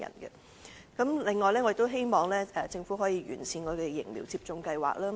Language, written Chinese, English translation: Cantonese, 此外，我也希望政府能夠完善疫苗接種計劃。, Besides I hope that the Government would improve its vaccination schemes